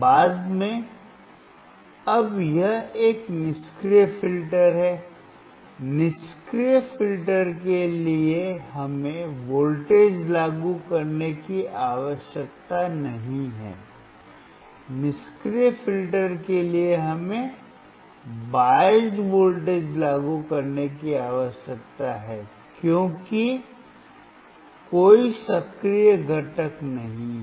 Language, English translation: Hindi, Later on, now this is a passive filter, for passive filter we do not require to apply the voltage, for passive filter we required to apply the biased voltage because there is no active, component